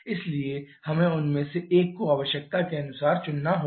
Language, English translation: Hindi, So, we have to choose one of them as per the requirement